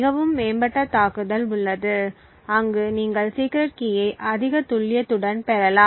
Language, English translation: Tamil, There are much more advanced attack where you can get the secret key with much more accuracy